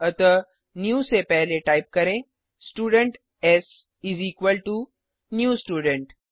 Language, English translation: Hindi, So before new type Student s is equal to new student